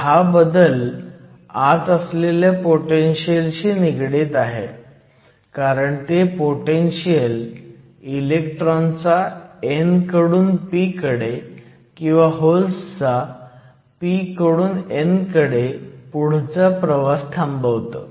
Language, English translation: Marathi, So, this difference is related to the built in potential because what the potential does is a prevents further motion of electrons from n to p or holes from p to n